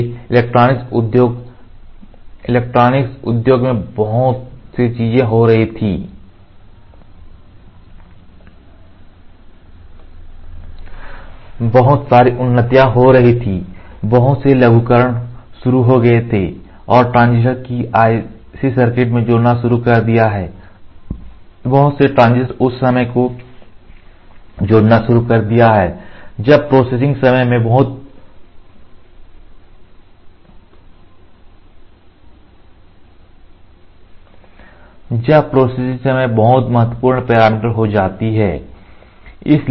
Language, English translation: Hindi, So, there were lot of things happening in electronic industry electronic industry, there were lot of advancements happening, lot of miniaturization startened and the transistors have started adding the in IC circuit, lot of transistors were started adding the time the processing time become a critical parameter so, there were lot of innovative things going on there